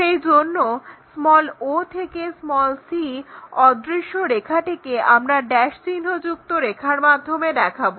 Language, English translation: Bengali, So, that c all the way from o to c whatever invisible line we show it by that dash lights